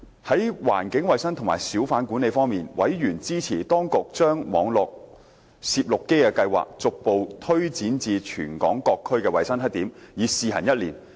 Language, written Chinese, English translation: Cantonese, 在環境衞生及小販管理方面，委員支持當局將網絡攝錄機計劃，逐步推展至全港各區的衞生黑點，以試行一年。, On environmental hygiene and hawker management members supported the plan of the Administration to gradually extend the Internet Protocol Camera Scheme to hygiene black - spots across the territory on a trial basis for one year